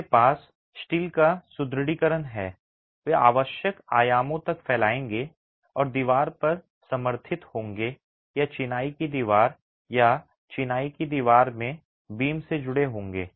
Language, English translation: Hindi, They would run span across the dimension required and be supported on walls or be connected to beams in the masonry wall or the masonry wall